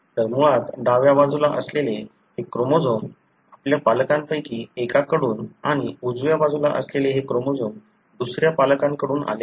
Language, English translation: Marathi, So, basically this chromosome that is on the left side is derived from one of your parent and this chromosome on the right side is derived from the other parent